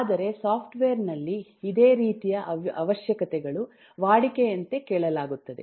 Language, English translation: Kannada, but in software similar requirements will very routinely ask for that